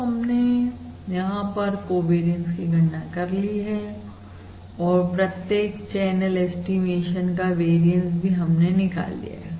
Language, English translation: Hindi, all right, So basically we have calculated the covariance and we have also calculated the variances of the individual channel estimation